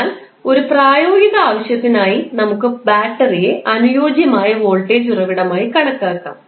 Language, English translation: Malayalam, But for a practical purpose we can consider battery as ideal voltage source